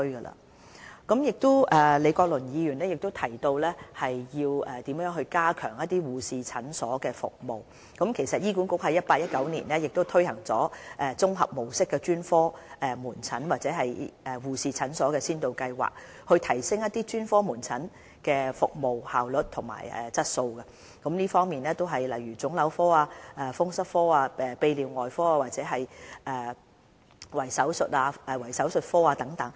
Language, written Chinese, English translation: Cantonese, 李國麟議員曾提及如何加強護士診所服務這點。醫管局於 2018-2019 年度推行綜合模式專科門診服務先導計劃，以提升專科門診服務的效率和質素，涵蓋臨床腫瘤科、風濕科、泌尿外科及圍手術科等。, In respect of Prof Joseph LEEs call for strengthening the services of nurse clinics HA will implement a pilot programme of the Integrated Model of Specialist Outpatient Service through nurse clinics in the specialties of clinical oncology urology rheumatology and peri - operative in 2018 - 2019 to improve the efficiency and quality of the specialist outpatient services